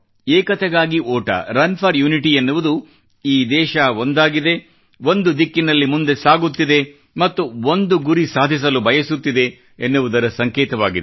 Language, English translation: Kannada, 'Run for Unity' is a symbol of unison, that the nation being united, is moving in one direction and collectively aims for One goal